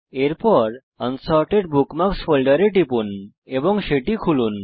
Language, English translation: Bengali, Next, click on and open the Unsorted Bookmarks folder